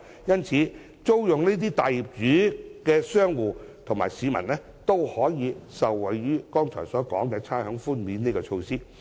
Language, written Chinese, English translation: Cantonese, 因此，租用大型業主物業的商戶和市民均可受惠於剛才提到的差餉寬免措施。, As a result commercial tenants renting premises in large property as well as members of the public can benefit from the rates concession measure mentioned earlier